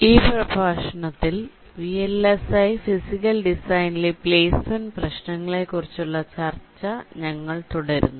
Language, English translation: Malayalam, so in this lecture we continue with the discussion on placement issues in vlsi physical design